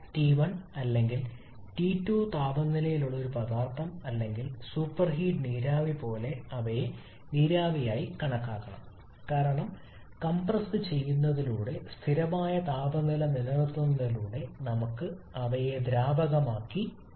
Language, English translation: Malayalam, Like a substance or the super heated vapour which is at temperature T1 or T2 they should be treated as vapour because maintaining that constant temperature simply by compressing we can convert them to liquid